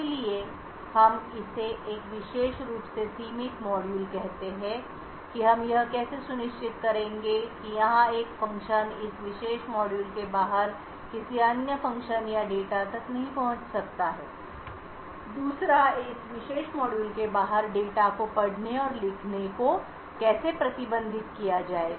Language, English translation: Hindi, So, we call this a particular confined module how would we ensure that a function over here cannot access of another function or data outside this particular module, second how would be restrict reading and writing of data outside this particular module